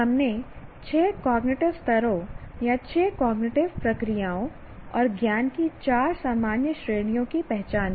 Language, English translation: Hindi, And we identified six cognitive levels or six cognitive processes and four general categories of knowledge